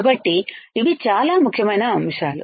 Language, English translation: Telugu, So, these are very important points